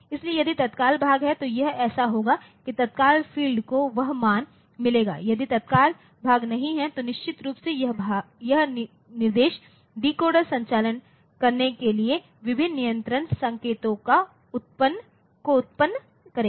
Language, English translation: Hindi, So, that if the immediate part is there then it will be so, it will get that immediate field will get that value, if the immediate part is not there then of course, this instruction decoder will generate various control signals for doing the operations